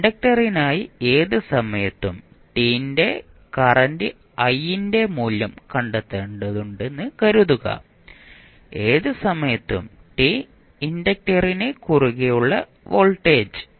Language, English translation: Malayalam, Suppose we need to find the value of current I at any time t for the inductor, voltage across inductor at any time t